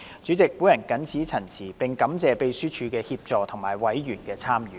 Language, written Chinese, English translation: Cantonese, 主席，我謹此陳辭，並感謝秘書處的協助和委員的參與。, With these remarks President I would like to thank the Secretariat for their assistance and members for their participation